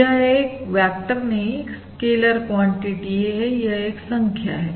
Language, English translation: Hindi, It is not a vector, it is a scaler quantity